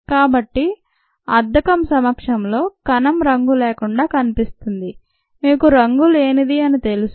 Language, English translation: Telugu, so in the presence of dye the cell is go into appear un dye, it you know, uncoloured ah